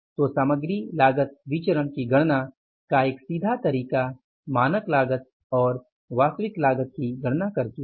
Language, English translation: Hindi, So, one way of calculating the material cost variance is straight way you calculated by calculating the standard cost and the actual cost